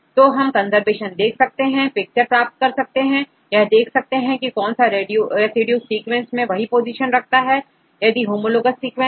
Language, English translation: Hindi, So, we get the conservation we will get a picture about this in the sequence level right which residues maintain to have the same position right in any homologous sequences